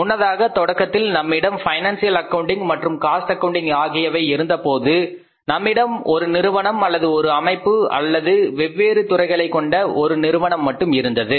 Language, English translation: Tamil, Earlier initially when we had only the financial accounting and cost accounting we had only one firm, one organization and one form different departments